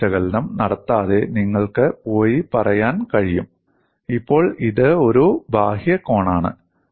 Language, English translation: Malayalam, See, without performing stress analysis, you can go and say now this is an outward corner